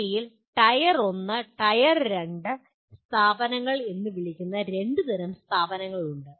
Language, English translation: Malayalam, And in India you have two types of institutions which are called Tier 1 and Tier 2 institutions